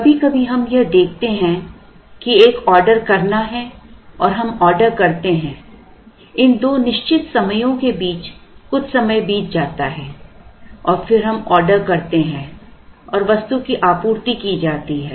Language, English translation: Hindi, Sometimes we look at identifying that an order has to be placed and placing an order between these two certain time elapses and then the order is placed and the order is met or supplied